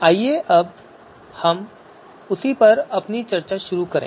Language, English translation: Hindi, So let us start our discussion on the same